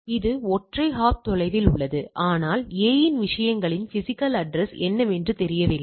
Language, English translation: Tamil, So, it is single hop away all right, but the A does not know what is the physical address of the things